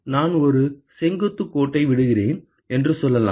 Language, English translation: Tamil, Let us say I drop a perpendicular line